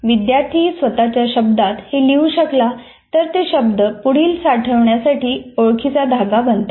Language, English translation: Marathi, Each one is able to rewrite in their own words, those words or phrases will become cues for later storage